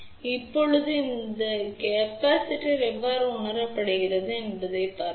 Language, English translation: Tamil, Now, let us see how this capacitance is being realized